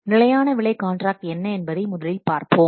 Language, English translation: Tamil, Let's first see about that is the fixed price contracts